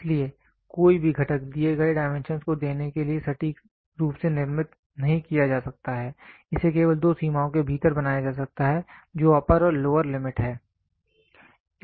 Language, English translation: Hindi, So, no component can be manufactured precisely to give the given dimensions, it can be only made to lie within two limits which is upper and lower limit